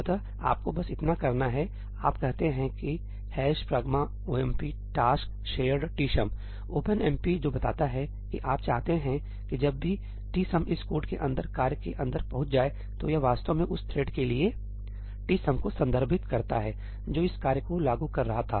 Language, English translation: Hindi, all you need to do is, you say ëhash pragma omp task shared tsumí; what that tells OpenMP is that you want whenever tsum is accessed inside this code, inside the task, it actually refers to tsum for the thread that was invoking this task